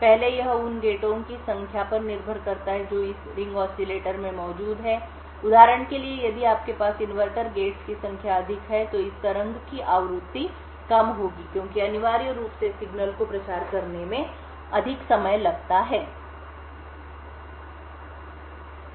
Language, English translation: Hindi, First it depends on the number of NOT gates that are present in this ring oscillator for example, if you have more number of inverters gates then the frequency would be of this waveform would be lower because essentially the signal takes a longer time to propagate to the output